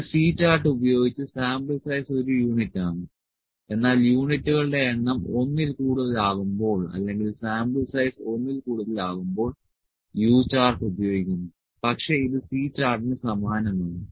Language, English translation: Malayalam, So, with a C chart the sample size is one unit, but when the number of units is more than one or sample size is greater than one U chart is used, but it is similar to C chart only thing is that the number of units are there